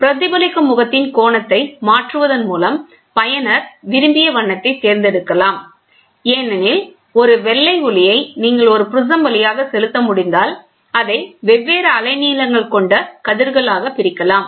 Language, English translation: Tamil, The user can select the desired color by varying the angle of the reflecting face because white light if you can pass through a prism you can divide it into various wavelength